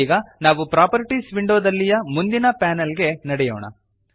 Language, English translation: Kannada, For now, lets move on to the next panel in the Properties window